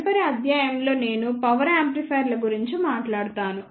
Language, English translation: Telugu, ah In the next lecture I will talk about power amplifiers